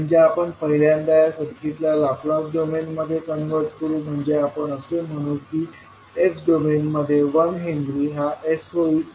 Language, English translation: Marathi, So first we will convert it to Laplace domain that is we will say that 1 henry in s domain we will sell as s